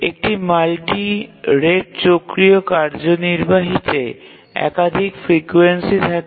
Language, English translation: Bengali, On a multi rate cyclic executing, as the name says that there are multiple frequencies